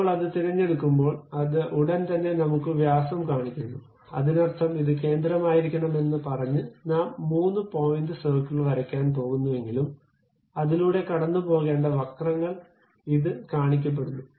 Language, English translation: Malayalam, When I pick that, it immediately shows me diameter, that means, even though I am going to draw three point circle saying that this is supposed to be the center, this is supposed to the curve which supposed to pass through that